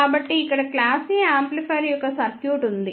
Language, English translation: Telugu, So, here is the circuit of class A amplifier